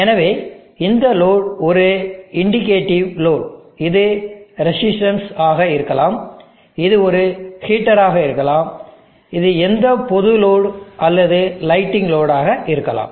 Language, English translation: Tamil, So this load is a indicative load which could be resistance, it could be heater, it could be any general load or a lighting load